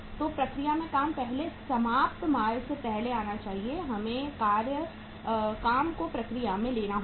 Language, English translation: Hindi, So work in process should come first before finished goods we have to take the work in process